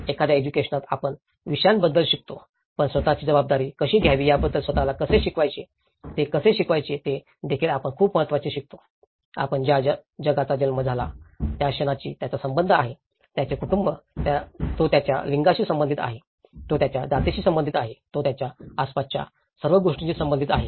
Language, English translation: Marathi, In an education, we teach about subjects but we also teaches very important to teach about the self responsibility, how they realize themselves, how and I is interacting with the whole world you know so, the moment he is born, he is related to his family, he is related to his gender, he is related to his caste, he is related to his neighbourhood okay